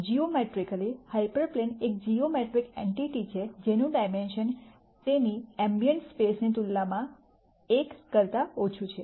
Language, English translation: Gujarati, Geometrically hyper plane is a geometric entity whose dimension is 1 less that than that of its ambient space